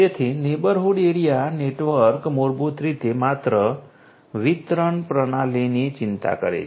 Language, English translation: Gujarati, So, neighborhood area network basically just concerns the distribution the distribution system